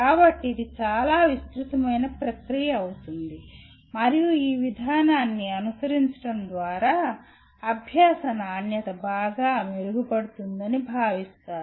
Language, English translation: Telugu, So, this becomes a fairly elaborate process and by following this process it is felt that the quality of learning will greatly improve